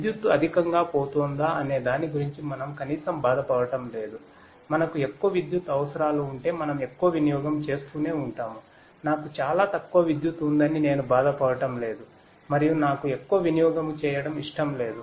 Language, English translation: Telugu, We are least bothered about whether the electricity is going to get over, if we have more requirements of electricity we keep on running more we do not bothered that I have very little amount of electricity and I do not you know I do not want to run more